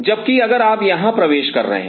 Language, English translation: Hindi, Whereas if you are entering here